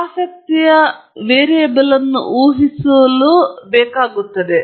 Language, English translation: Kannada, Largely for predicting the variable of interest